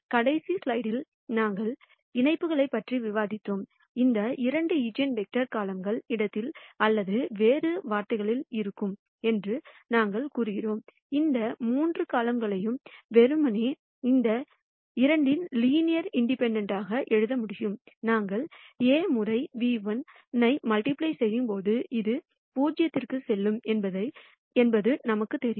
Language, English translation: Tamil, And in the last slide, when we were discussing the connections, we claim that these two eigenvectors will be in the column space or in other words, what we are claiming is that these three columns can simply be written as a linear combination of these two columns; and we are also sure that when we do A times nu1, this will go to 0